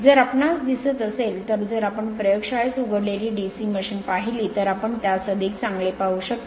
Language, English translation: Marathi, If you look you will call it if you see the laboratory the opened your open DC machine then you can have a better look